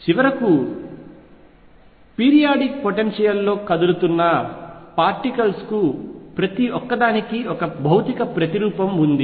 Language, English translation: Telugu, And finally, to particles moving in a periodic potential each one had a physical counterpart